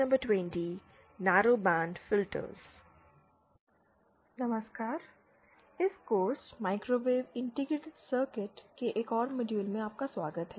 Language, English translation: Hindi, Hello, welcome to another module of this course, microwave integrated circuits